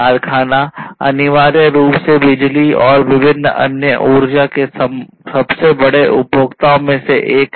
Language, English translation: Hindi, Factories are essentially the largest consumers, one of the largest consumers of electricity and different other energy